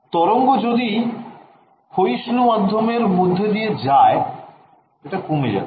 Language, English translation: Bengali, Right as the wave is traveling through a lossy medium, it should decay